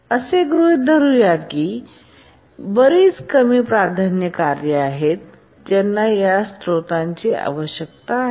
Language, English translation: Marathi, Now let's assume that there are several lower priority tasks which need these resources